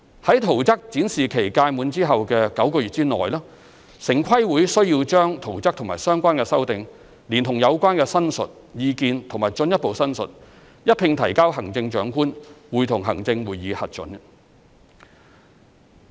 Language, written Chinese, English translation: Cantonese, 在圖則展示期屆滿後的9個月內，城規會需要把圖則和相關修訂，連同有關申述、意見和進一步申述，一併提交行政長官會同行政會議核准。, TPB is required to submit the plans and relevant amendments together with the representations comments and further representations to the Chief Executive in Council for approval within nine months after the expiry of the plan exhibition period